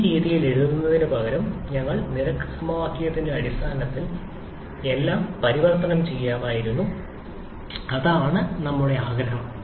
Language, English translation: Malayalam, Instead of writing this way, you could have converted everything in terms of rate equation as well, that is our wish